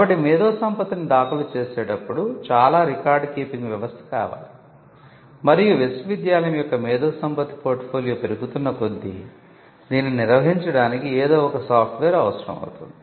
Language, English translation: Telugu, So, there is quite a lot of record keeping involved in when it comes to filing IPs and as the IP portfolio of a university grows then it would also require you to have some tools like software to manage this